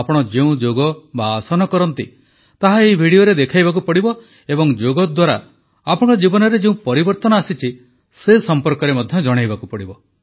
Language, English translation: Odia, In this video, you have to show performing Yoga, or Asana, that you usually do and also tell about the changes that have taken place in your life through yoga